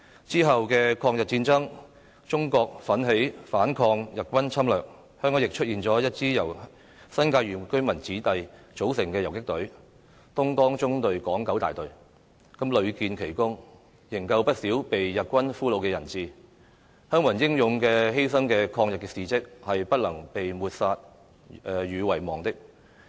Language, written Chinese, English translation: Cantonese, 之後的抗日戰爭，中國奮起反抗日軍侵略，香港亦出現一支由新界原居民子弟組成的游擊隊——"東江縱隊港九大隊"，屢建奇功，營救不少被日軍俘虜的人質，鄉民英勇犧牲的抗日事蹟是不能被抹殺和遺忘的。, In the War of Resistance against Japanese Aggression China fought bravely against Japanese invasion . In Hong Kong a guerrilla force formed by the indigenous residents of the New Territories namely the Hong Kong Independent Battalion of the Dongjiang Column distinguished itself by rescuing many hostages taken by the Japanese . The stories of the villagers heroic sacrifice in resisting Japanese aggression shall never be obliterated and forgotten